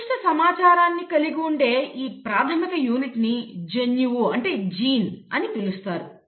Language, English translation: Telugu, This basic unit which carries certain information is what you call as a “gene”